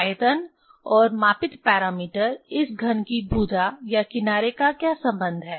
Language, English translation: Hindi, What is the relation what with volume and the measured parameter this side or edge of the cube